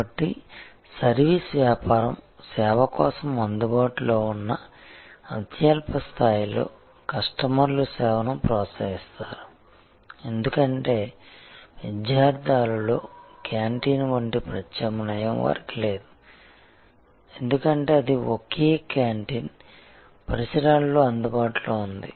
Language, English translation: Telugu, So, at the lowest level, where service business is at just available for service, customers patronize the service, because they have no alternative like the canteen at a student hall; because that is the only canteen; that is available in the vicinity